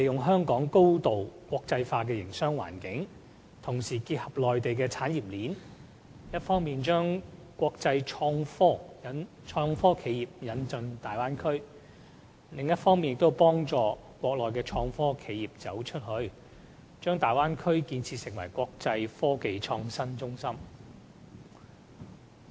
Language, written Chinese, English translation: Cantonese, 香港高度國際化的營商環境，結合內地的產業鏈，一方面可將國際創科企業引進大灣區，另一方面，可幫助國內創科企業"走出去"，將大灣區建設成為"國際科技創新中心"。, Hong Kongs highly cosmopolitan business environment together with the industrial chain in the Mainland can bring international IT enterprises into the Bay Area on the one hand and help Mainland IT enterprises go global on the other thus turning the Bay Area into an IT hub of the world